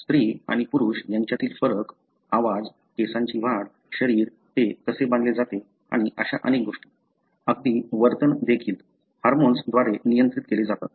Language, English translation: Marathi, Thedifference that you see between male and female, the voice, the growth of the hair, the body, how it is built and many such, even behaviour are regulated by the hormones